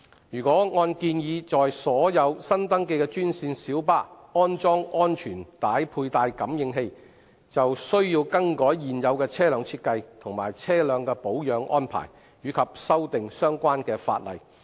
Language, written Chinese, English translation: Cantonese, 如按建議在所有新登記的專線小巴安裝安全帶佩戴感應器，便須更改現有車輛設計及車輛的保養安排，以及修訂相關法例。, The proposal to install seat belt sensors on all newly registered green minibuses requires modification of the existing vehicle design changes to vehicle maintenance and legislative amendments to the relevant law